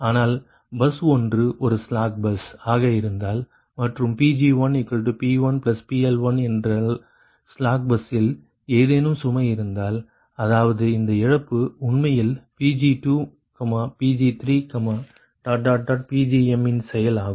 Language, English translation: Tamil, but if bus one is a slack bus, like and your ah pg one is equal to p one plus your pl one, if any load is there at slack bus, that means this loss actually function of pg two, pg three, pgm